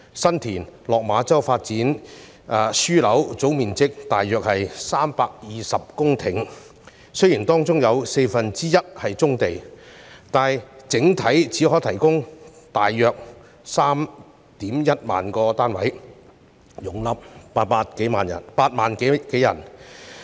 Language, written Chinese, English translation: Cantonese, 新田/落馬洲發展樞紐的總面積約為320公頃，雖然當中有四分之一是棕地，但整體只能提供約 31,000 個單位，容納8萬多人。, The San TinLok Ma Chau Development Node covers a total area of around 320 hectares . Although one fourth of it consists of brownfield sites it can only provide about 31 000 units and accommodate 80 000 - odd people